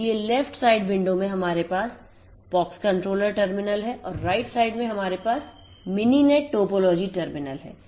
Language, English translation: Hindi, So, in this so, in left side window we have the pox controller terminal and in the right side we have the Mininet topology terminal